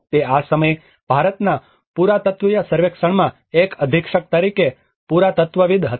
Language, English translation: Gujarati, That time he was a superintending archaeologist in the Archaeological Survey of India